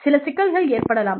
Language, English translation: Tamil, There is some problem